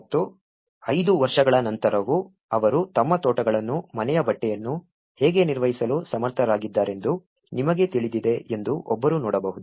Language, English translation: Kannada, And, even after five years, one can see that you know, how they are able to maintain their gardens the fabric of the house